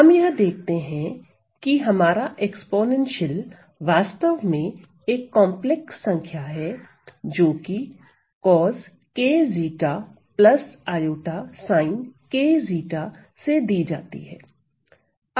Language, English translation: Hindi, We see that our this exponential this is actually a complex number, this is given by cos k zeta plus i sin k zeta right